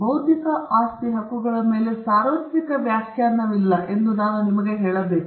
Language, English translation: Kannada, And I must tell you that there is no universal definition on intellectual property rights as of now